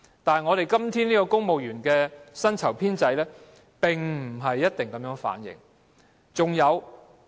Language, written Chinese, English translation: Cantonese, 但是，香港今天的公務員薪酬制度並不一定反映這情況。, However the existing civil service pay system may not reflect such a situation